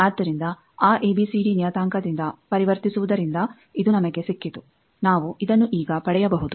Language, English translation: Kannada, So, this we got from converting from that ABCD parameter we can get this now